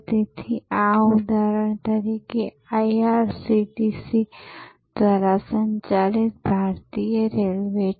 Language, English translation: Gujarati, So, this is for example, Indian railway operating through IRCTC